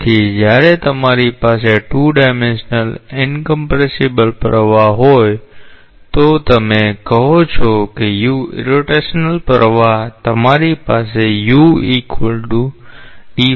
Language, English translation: Gujarati, So, when you have a 2 dimensional incompressible flow, so you have say u irrotational flow you have u equal to this and v equal to this